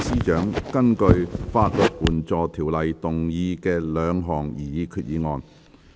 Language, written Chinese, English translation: Cantonese, 政務司司長根據《法律援助條例》動議的兩項擬議決議案。, Two proposed resolutions to be moved by the Chief Secretary for Administration under the Legal Aid Ordinance